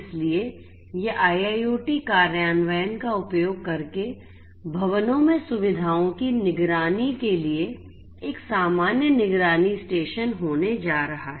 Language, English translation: Hindi, So, this is going to be a common monitoring station for monitoring the facilities in the buildings using IIoT implementation